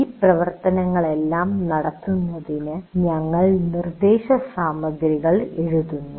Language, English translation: Malayalam, To conduct all those activities, we write the instruction material